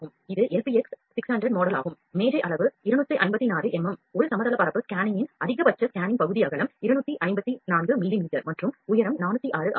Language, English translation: Tamil, This is LPX 600 model the table size is 254 the maximum scanning area of a plane scanning is the width is 254 mm and the height is 406